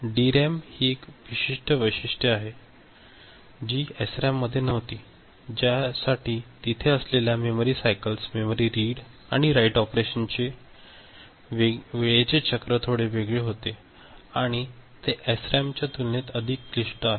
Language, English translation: Marathi, This is one specific characteristics of DRAM, which was not there in SRAM for which the memory cycles that are there, the timing cycles for memory read write operation becomes little bit different, I mean some more complicated compared to SRAM